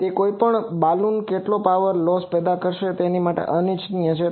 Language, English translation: Gujarati, And also any Balun will produce some power loss which is undesired